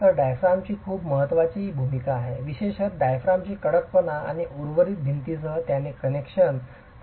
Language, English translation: Marathi, So, diaphragm has a very important role to play, particularly the stiffness of the diaphragm and its connections with the rest of the walls